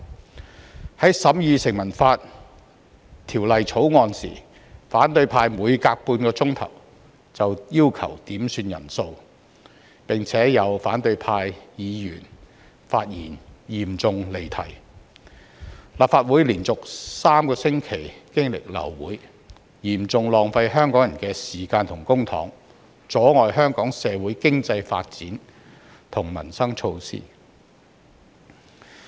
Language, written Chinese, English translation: Cantonese, 在審議《2019年成文法條例草案》時，反對派每隔半小時便要求點算法定人數，並且有反對派議員發言嚴重離題，以致立法會連續3星期流會，嚴重浪費香港人的時間和公帑，阻礙香港社會經濟發展和民生措施的落實。, During the deliberation of the Statute Law Bill 2019 the opposition camp asked for a quorum call every half an hour and some of its Members digressed seriously when they spoke leading to abortion of the Council meetings for three weeks in a row . This has severely wasted the time of Hong Kong people and public money and has impeded the socio - economic development of Hong Kong and the implementation of peoples livelihood measures